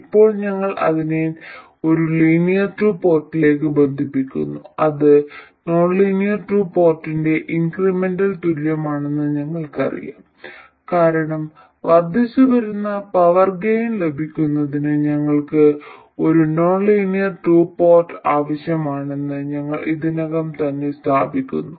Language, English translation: Malayalam, Now we connect that to a linear 2 port which we know is the incremental equivalent of the nonlinear 2 port because we have already established that we need a nonlinear 2 port to have incremental power gain